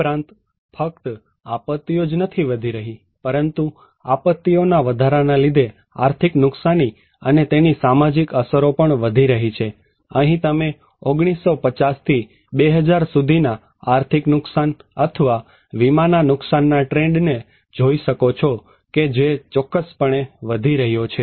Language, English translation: Gujarati, Also, not only the disasters are increasing, but economic loss and social impacts due to disasters are increasing, here is one you can look at economic losses or insured losses with trend from 1950’s to 2000 that is for sure that it is increasing